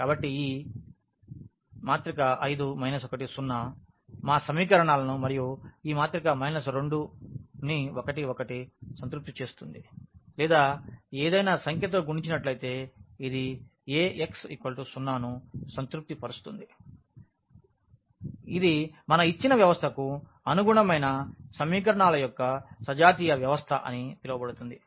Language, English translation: Telugu, So, this 5, minus 1, 0 will satisfy our equations and this minus 2 1 1 or multiplied by any number this will satisfy Ax is equal to 0 that the so called the homogeneous system of equations, a corresponding to our given system